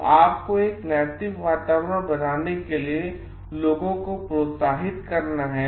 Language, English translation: Hindi, So, you have to encourage in people in order to build an ethical climate environments